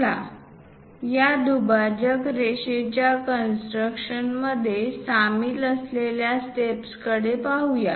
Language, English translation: Marathi, Let us look at the steps involved in constructing this bisecting line